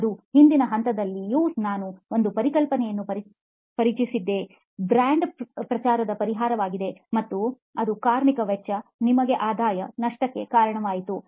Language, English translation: Kannada, That, you know even at the earlier level we introduced a concept, a solution of brand promotion and that led to labour cost, revenue loss for you